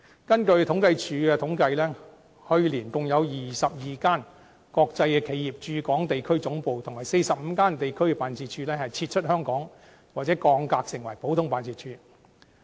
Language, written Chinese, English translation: Cantonese, 根據政府統計處的統計，去年共有22間國際企業的駐港地區總部和45間地區辦事處撤出香港或降格成普通辦事處。, According to the statistics from the Census and Statistics Department a total of 22 regional headquarters and 45 regional branches of international corporations stationing in Hong Kong either retreated from Hong Kong or were degraded as common branches last year